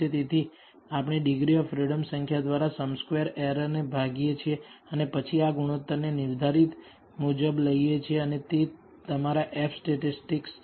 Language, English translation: Gujarati, So, we divide the sum squared errors for the denominator by the number of degrees of freedom and then take this ratio as defined and that is your F statistic